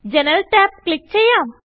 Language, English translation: Malayalam, Now, click the General tab